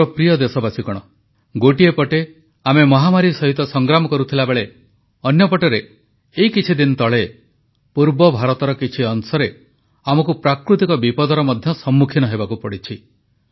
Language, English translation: Odia, on one hand we are busy combating the Corona pandemic whereas on the other hand, we were recently confronted with natural calamity in certain parts of Eastern India